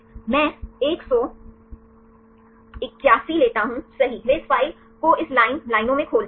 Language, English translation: Hindi, So, I take 181 right they open this file in this line lines right